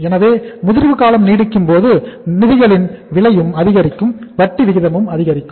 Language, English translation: Tamil, So as the maturity period gets longer the cost of the funds also increase, the interest rates also increase